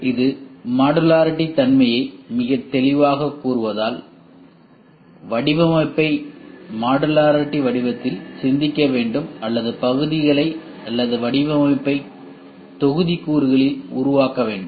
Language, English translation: Tamil, As it very clearly says modularity so that means, to say design has to be thought in modular form or I have to make the parts or the design in modules